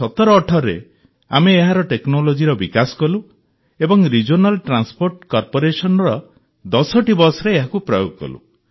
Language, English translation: Odia, So, in 201718 we developed its technology and used it in 10 buses of the Regional Transport Corporation